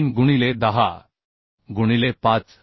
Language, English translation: Marathi, 3 by 10 into 5